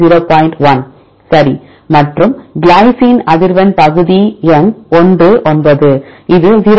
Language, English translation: Tamil, 1 right and the frequency of glycine at portion number 1 9; this equal to 0